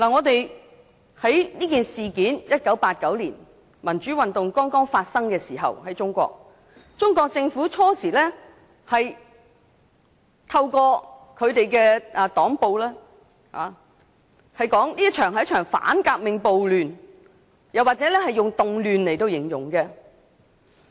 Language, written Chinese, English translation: Cantonese, 當1989年民主運動剛在中國發生時，中國政府初時透過黨報說這是一場反革命暴亂，又或以"動亂"來形容。, In 1989 when the democratic movement first started in China the Chinese Government initially described it as a counter - revolutionary riot or a disturbance